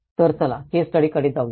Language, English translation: Marathi, So, letís go to the case studies